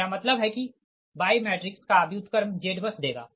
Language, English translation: Hindi, i mean inversion of y matrix will give the z bus